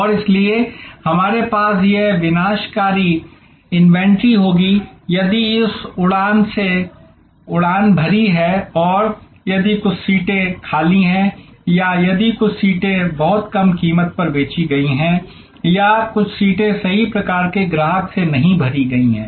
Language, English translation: Hindi, And therefore, we will have this perishable inventory, because if that flight has taken off and if some seats are vacant or if some seats have been sold at a price too low or some seats are not filled with the right kind of customer